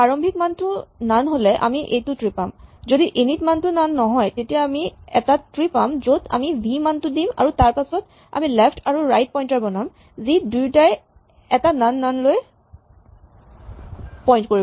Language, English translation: Assamese, The initial value is none we get this tree if the init value is not none then we get a tree in which we put the value v and then we make the left in the right pointers both point to this none, none